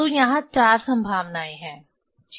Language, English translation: Hindi, So, there are four possibilities ok